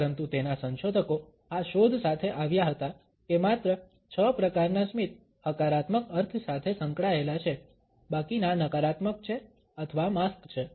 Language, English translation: Gujarati, But his researchers had come up with this finding that only six types of a smiles are associated with positive connotations, the rest are either negative or a mask